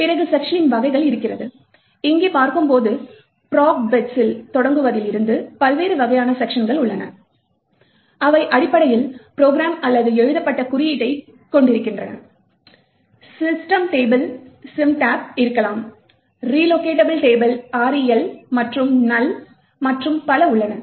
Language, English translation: Tamil, Then you would have the type of the section and as we see over here, there are various types of the section from starting from programming bits which essentially contains the program or the code that was written, you could have symbol table, you have no bits the allocation table and null and so on